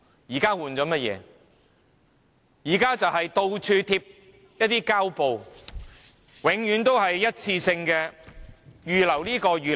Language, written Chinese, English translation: Cantonese, 現在就是到處貼上膠布，永遠都是一次性的預留撥款。, At present the Government is applying plasters everywhere sticking to its usual approach of ear - marking some one - off funding